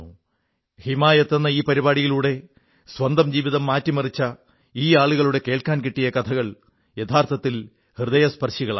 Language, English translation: Malayalam, The success stories of lives which have changed under the aegis of the 'Himayat Programme', truly touch the heart